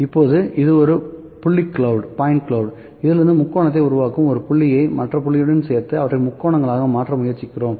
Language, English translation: Tamil, Now, this is a point cloud, will make triangle out of this, ok, joining a point with other point we are trying into make it triangles